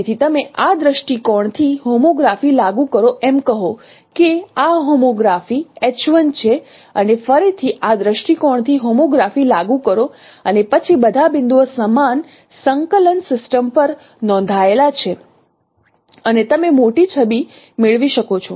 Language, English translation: Gujarati, Suppose this homograph is H1 and again apply homography from point from this view to this view and then all the points are registered on the same coordinate system and you can get the larger image